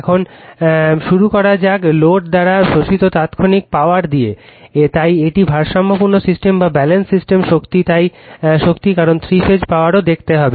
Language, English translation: Bengali, Now, we begin by examining the instantaneous power absorbed by the load right, so power in a balanced system so power, because we have to see the three phase power also